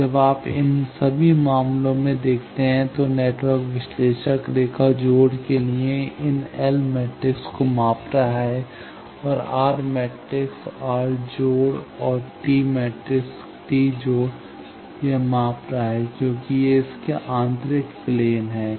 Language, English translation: Hindi, Now when you see in all this cases the network analyzer is measuring these L matrix for line connection, R matrix R connection and T matrix T connection it is measuring because these are its internal planes